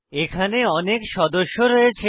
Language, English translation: Bengali, A library has many members